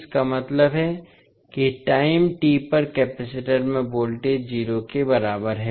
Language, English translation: Hindi, That means the voltage across capacitor at time t is equal to 0